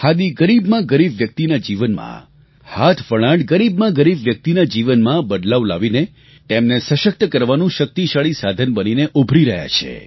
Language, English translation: Gujarati, Khadi and handloom have transformed the lives of the poorest of the poor and are emerging as a powerful means of empowering them